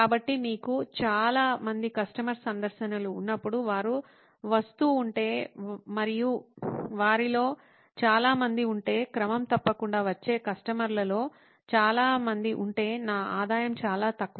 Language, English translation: Telugu, So when we have many customer visits, if they keep coming, and there are many of them, many of the customers who are coming in regularly, then my revenue is very high